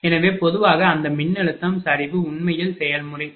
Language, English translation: Tamil, So, in general, that voltage collapse actually the process, right